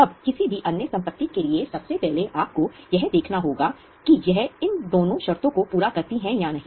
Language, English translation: Hindi, Now any other asset, first of all you have to see whether it meets these two conditions